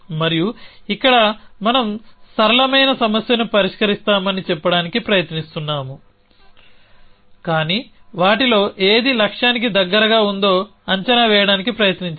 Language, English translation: Telugu, And here we us trying to say that we will solve a simpler problem, but try to estimate which of them is closer to the goal